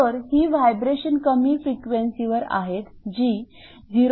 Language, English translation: Marathi, So, these vibrations are of at low frequencies that is 0